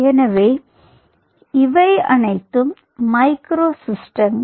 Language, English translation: Tamil, so these are all micro systems